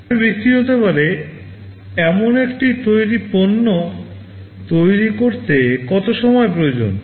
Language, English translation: Bengali, How much time it is required to build a finished product that can be sold in the market